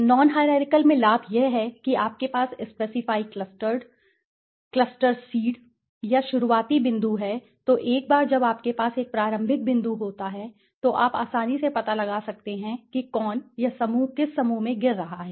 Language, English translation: Hindi, In the non hierarchical the advantage is that you have a specify cluster seed or starting point right so once you have a starting point then you can find out easily which cluster is fall into which group